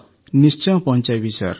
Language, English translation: Odia, Will definitely convey Sir